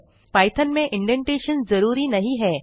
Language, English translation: Hindi, Indentation is essential in python